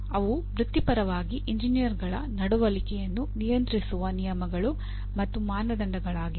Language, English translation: Kannada, They are rules and standards governing the conduct of engineers in their role as professionals